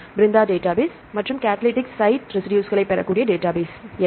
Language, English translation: Tamil, Brenda database and what is the database where you can get the catalytic site residues